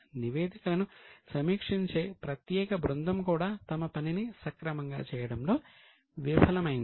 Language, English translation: Telugu, Now, special team of reviewing the reports also failed to perform their job